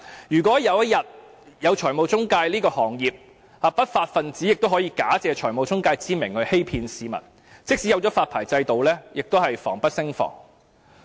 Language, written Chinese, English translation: Cantonese, 如果有一天，正式有了財務中介這個行業，不法分子也可以假借財務中介之名來欺騙市民，即使政府設立了發牌制度也是防不勝防。, If the financial intermediary trade is made legitimate someday lawbreakers posing as financial intermediaries can still defraud members of the public . Even if the Government has set up a licensing regime it still cannot guard against such pitfalls